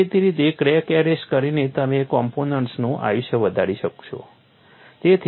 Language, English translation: Gujarati, Obviously, by arresting the crack, you would be able to enhance the life of the component